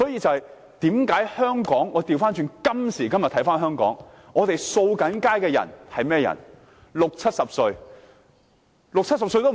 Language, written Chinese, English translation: Cantonese, 我們看看今時今日的香港，清潔街道的都是六七十歲的長者。, Let us look at the situation in Hong Kong today . Our street cleansing work is carried out by elderly workers aged 60 to 70